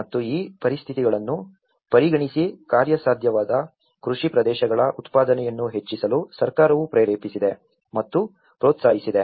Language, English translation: Kannada, And considering this conditions, the government has motivated to and encouraged to enhance the production of the feasible cultivated areas